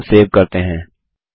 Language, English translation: Hindi, Let us now save the form